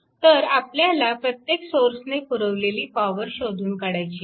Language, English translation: Marathi, So, you have to find out the power delivered by each source of the circuit right